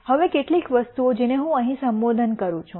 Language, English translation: Gujarati, Now, the couple of things that I would address here